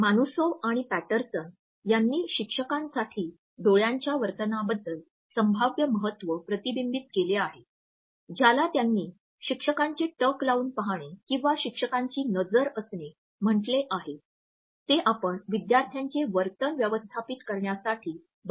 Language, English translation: Marathi, Manusov and Patterson have reflected on the potentially important eye behavior for teachers which they have termed as the “teacher stare” and we often use it to manage the students class room behavior